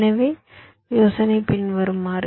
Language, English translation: Tamil, so the either is as follows